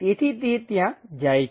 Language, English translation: Gujarati, So, it goes all the way there